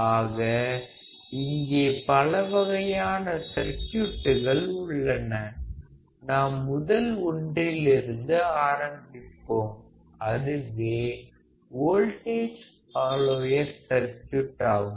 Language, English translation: Tamil, So, there are several kinds of circuits, we should start understanding the first one; which is the voltage follower circuit